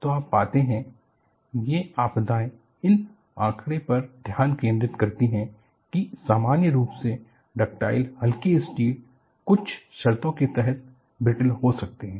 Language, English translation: Hindi, So, what you find is, these calamities focus attention on the fact that, normally ductile mild steel can become brittle under certain conditions